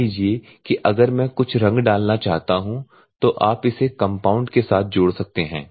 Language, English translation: Hindi, Suppose if at all I want to put certain colour so you can add along with this compound